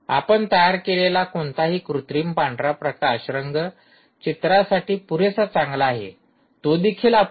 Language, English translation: Marathi, whatever artificial white light that you create is good enough for color pictures, that which is also ah insufficient